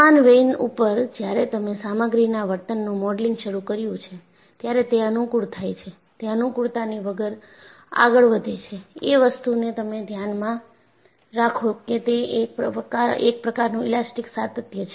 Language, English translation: Gujarati, On the similar vein, when you have started modeling the material behavior, it was convenient, purely out of convenience, you consider that, it is an elastic continuum